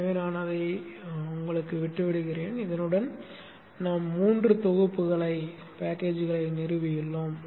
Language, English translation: Tamil, So let me quit that and with this we have installed three packages